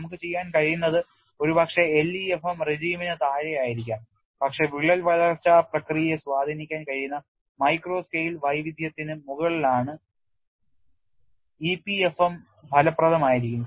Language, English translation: Malayalam, And what we could do is possibly below the LEFM regime, but above the micro scale heterogeneity which can influence the crack growth process EPFM would be effective